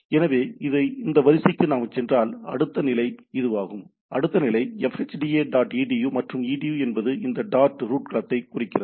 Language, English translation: Tamil, So, the next level is this one, next level is “fhda dot edu” and edu is the top level domain this dot indicates the root domain